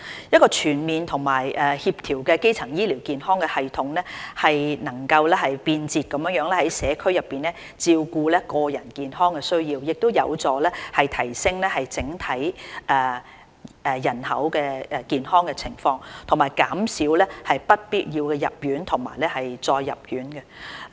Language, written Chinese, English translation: Cantonese, 一個全面和協調的基層醫療健康系統，能便捷在社區內照顧個人健康需要，有助提升整體人口健康情況，以及減少不必要的入院及再入院的情況。, A comprehensive and coordinated primary healthcare system that can attend to the healthcare needs of individuals more conveniently in a community setting is crucial to improving the overall health status of the population and reduce unwarranted admissions and re - admissions